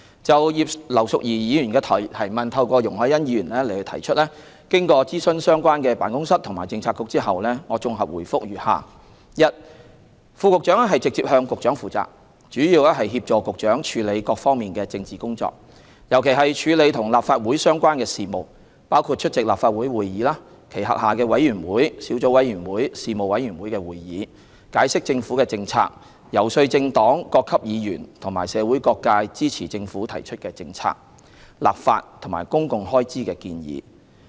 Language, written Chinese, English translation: Cantonese, 就葉劉淑儀議員透過容海恩議員提出的質詢，經諮詢相關辦公室及政策局後，我綜合答覆如下：一副局長直接向局長負責，主要協助局長處理各方面的政治工作，尤其是處理與立法會相關的事務，包括出席立法會會議、其轄下委員會、小組委員會及事務委員會的會議，解釋政府政策、遊說政黨、各級議員和社會各界支持政府提出的政策、立法及公共開支建議。, With regard to Mrs Regina IPs question raised by Ms YUNG Hoi - yan after consulting the relevant offices and bureaux I am providing a consolidated reply as follows 1 Deputy Directors of Bureau report directly to Directors of Bureau and are responsible principally for assisting Directors of Bureau in undertaking the full range of political work especially in Legislative Council business . This includes attending meetings of the Legislative Council and its committees panels and subcommittees; explaining government policies; and lobbying political parties Members of various Councils and different sectors of society for their support for government proposals on policy legislation and public expenditure